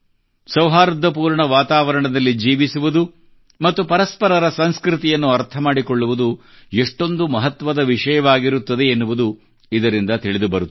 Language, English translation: Kannada, These also show how important it is to live in a harmonious environment and understand each other's culture